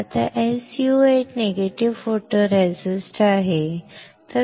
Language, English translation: Marathi, Now SU 8 is negative photoresist